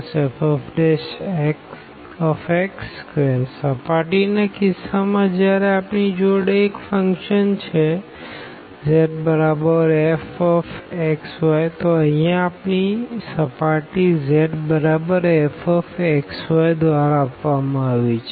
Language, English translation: Gujarati, In case of the surface when we have a function z is equal to f x y so, our here the surface is given by z is equal to f x y